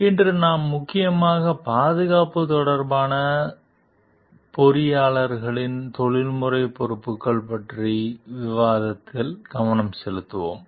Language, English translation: Tamil, Today we will mainly focus on the discussion of the professional responsibilities of engineers with regard to safety